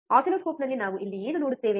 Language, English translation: Kannada, What we see here on the oscilloscope